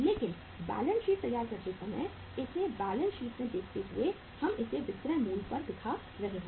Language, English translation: Hindi, But while preparing the balance sheet while showing it in the balance sheet we will be showing it at the selling price